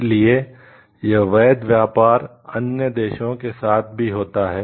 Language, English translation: Hindi, So, that legitimate trade also takes place with the other countries